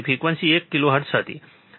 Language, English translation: Gujarati, Frequency was one kilohertz, correct